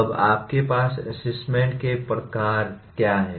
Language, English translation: Hindi, Now, what are the types of assessment that you have